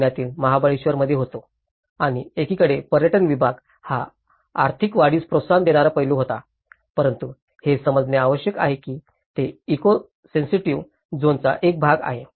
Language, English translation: Marathi, I was in Mahabaleshwar in Pune and on one side the tourism segment is been a promotive aspect to raise economic growth but one has to understand it is also part of the eco sensitive zone